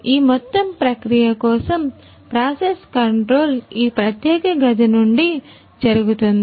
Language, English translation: Telugu, So, for this entire process the process control is done from this particular room right